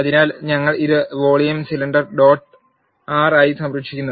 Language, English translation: Malayalam, So, we are saving it as vol cylinder dot R